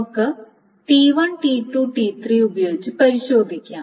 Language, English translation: Malayalam, So let us test it with T1, T2